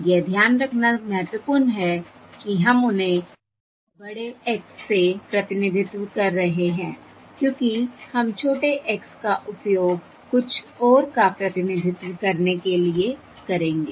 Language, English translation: Hindi, It is important to note that we are representing them by capital X, because we will use small X to represent something else